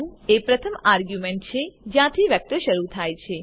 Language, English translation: Gujarati, 1 is the first argument where the vector starts